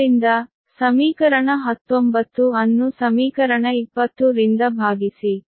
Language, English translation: Kannada, so, eq, you divide equation nineteen by equation twenty